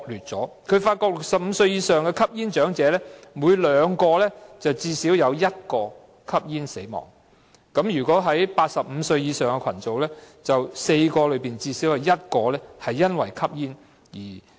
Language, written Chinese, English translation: Cantonese, 結果顯示在65歲以上的吸煙長者中，每2人便最少有1人因吸煙而死亡；在85歲以上的群組，每4人中最少有1人因吸煙而死亡。, Results indicated that among older smokers aged 65 and above at least one out of two died of smoking; and in the group aged 85 and above at least one out of four died of smoking